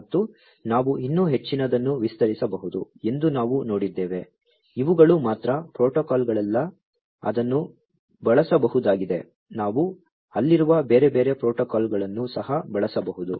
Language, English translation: Kannada, And, we have seen that there is much more we could expand even further these are not the only protocols, that could be used; we could even use different other protocols that are out there